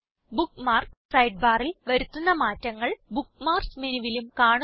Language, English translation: Malayalam, Changes you make in the Bookmarks Sidebar are also reflected in the Bookmarks menu